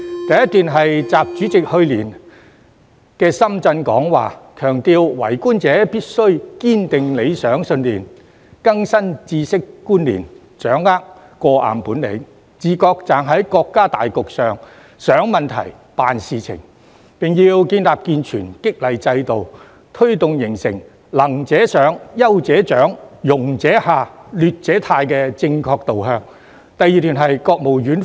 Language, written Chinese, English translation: Cantonese, 第一段是習主席去年在深圳的講話，強調為官者必須堅定理想信念、更新知識觀念、掌握過硬本領，自覺站在國家大局上想問題、辦事情，並要建立健全激勵制度，推動形成"能者上、優者獎、庸者下、劣者汰"的正確導向。, The first one is from President XIs address in Shenzhen last year . It emphasizes that persons holding public office must firmly uphold their ideals and beliefs equip themselves with latest knowledge and concepts have perfect mastery of various skills and consciously think and act with the overall picture of the country in mind . According to President XI there is also a need to establish and improve the incentive mechanism steering it towards the right direction of promoting the capable and demoting the incapable and rewarding the outstanding and eliminating the underperforming